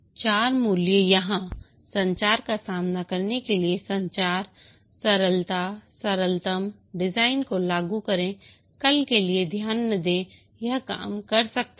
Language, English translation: Hindi, The four values here, communication, face to face communication, simplicity, implement the simplest design, may not pay attention for tomorrow, make it work